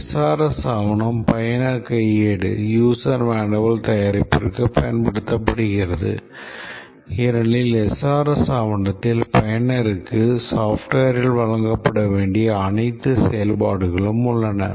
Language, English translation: Tamil, The SRS document is used for the user manual preparation because the SRS document contains all the functionalities to be provided by the software to the user, the user manual is typically based on the SRS document